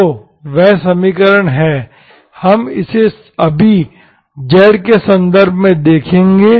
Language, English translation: Hindi, So this is equation, we will look at it right now in terms of z